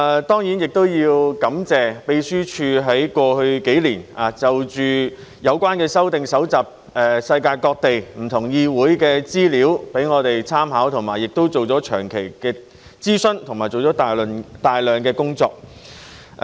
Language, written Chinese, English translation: Cantonese, 當然，我也要感謝秘書處在過去數年就着有關的修訂搜集世界各地不同議會的資料供我們參考，以及做了長期的諮詢和大量的工作。, Certainly I have also to thank the Secretariat for having collected information from different parliaments around the world for our reference as well as having provided long - term consultation and done massive work in the past few years in relation to the amendments